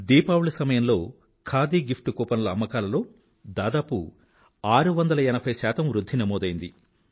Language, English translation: Telugu, During Diwali, Khadi gift coupon sales recorded an overwhelming 680 per cent rise